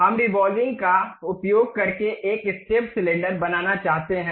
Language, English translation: Hindi, We would like to construct a step cylinder using revolve